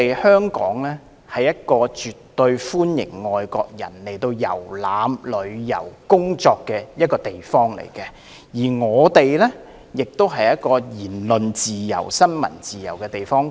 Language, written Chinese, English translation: Cantonese, 香港是一個絕對歡迎外國人前來遊覽、旅遊和工作的地方，而香港亦是一個有言論自由及新聞自由的地方。, Hong Kong is a place where foreigners are absolutely welcome to come here for sightseeing travelling and work and it is also a place where people can have freedom of speech and freedom of the press